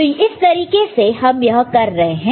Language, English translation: Hindi, So, this is the way you are doing it all right